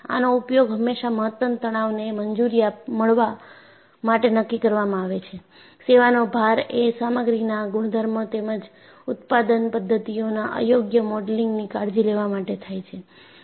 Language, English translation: Gujarati, So, this is always used to decide the maximum stress allowed, to take care of improper modeling of service loads, material properties as well as production methods